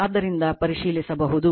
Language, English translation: Kannada, So, you can verify